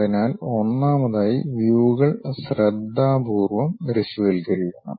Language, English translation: Malayalam, So, first of all, one has to visualize the views carefully